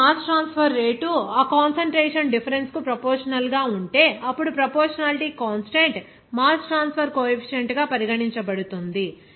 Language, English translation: Telugu, Now, if your mass transfer rate is proportional to that concentration differences, then proportionality constant will be regarded as mass transfer coefficient